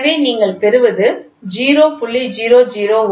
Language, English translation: Tamil, So, what you get is the 0